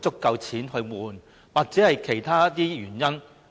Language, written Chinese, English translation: Cantonese, 有沒有其他的原因？, Are there other reasons?